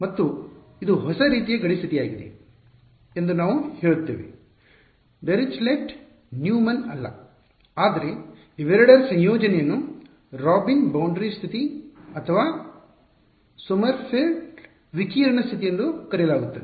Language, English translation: Kannada, And, we say that this is a new kind of boundary condition not Dirichlet not Neumann, but a combination of the two which is called the Robin boundary condition or Sommerfield radiation condition